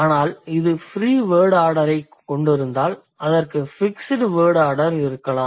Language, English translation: Tamil, But if it has a free word order, it might have a fixed word order